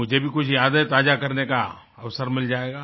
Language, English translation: Hindi, I too will get an opportunity to refresh a few memories